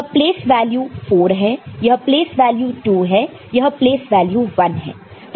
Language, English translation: Hindi, This place value is 4 ok, this place value is 2, this place value is 1